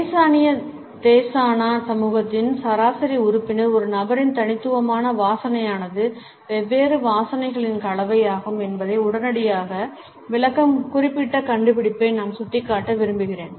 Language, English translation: Tamil, I would like to point out particular finding which suggests that the average member of the Amazonian Desana community will readily explain that an individual's unique odor is a combination of different smells